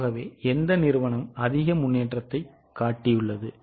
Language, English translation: Tamil, So which company has shown more improvement